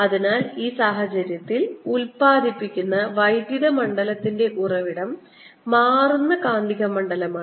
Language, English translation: Malayalam, so in this case is a source of electric field that is produced is the changing magnetic field and the curl e is zero